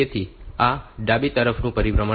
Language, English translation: Gujarati, So, this is the rotation to the left rotation